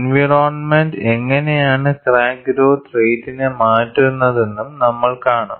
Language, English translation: Malayalam, We would also see, how does the environment changes the crack growth rate